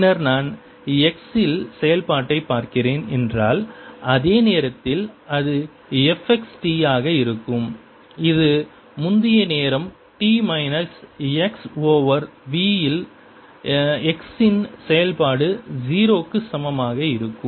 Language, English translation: Tamil, then if i am looking at function at x, the same time, it would be: f x t is equal to function at x, equal to zero at a previous time, p minus x over v